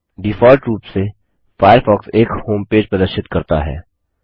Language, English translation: Hindi, By default, Firefox displays a homepage